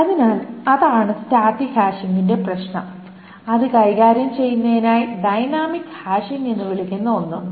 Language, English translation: Malayalam, So that is a problem with static hashing and to handle that there is something called a dynamic hashing